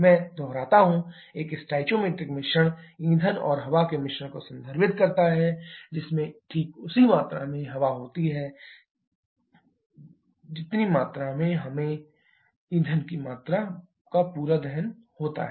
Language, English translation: Hindi, I repeat, a stoichiometric mixture refers to a mixture of fuel and air which contains exactly the same amount of air precisely the same amount of air required to have complete combustion of that quantity of fuel